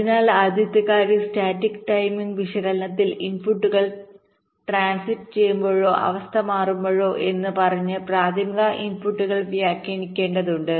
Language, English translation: Malayalam, ok, so the first thing is that in static timing analysis we have to annotate the primary inputs by saying that when the inputs are transiting or changing state